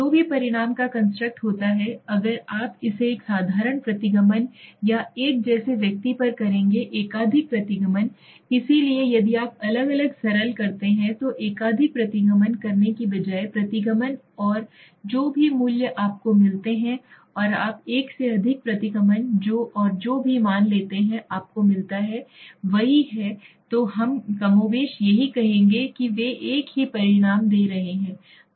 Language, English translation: Hindi, Whatever result is construct will give if you do it on a individual like a simple regression or a multiple regression, so instead of doing a multiple regression if you do individual simple regression and whatever values you get and you do one multiple regression and whatever values you get is the same then we will say more or less they are giving the same result okay